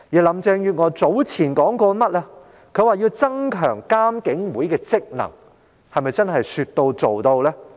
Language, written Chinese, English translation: Cantonese, 林鄭月娥早前表示要增強監警會的職能，她又是否真的能說到做到？, Carrie LAM has indicated earlier her wish to enhance the functions of IPCC but can she really keep her words?